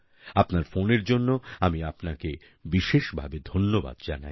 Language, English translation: Bengali, I specially thank you for your phone call